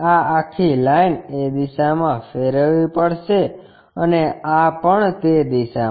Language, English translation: Gujarati, This entire line has to be rotated in that direction and this one also in that direction